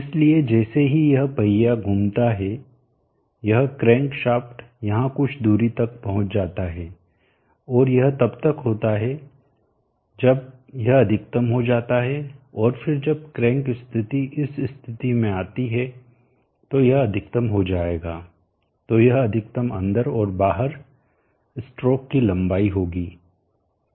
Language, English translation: Hindi, So as this wheel rotates this crank shaft reaches a distance here, and that is when this would have gone maximum and then when the crank position comes to this position this would be maximum out, so that would be the maximum in and out would be the stroke length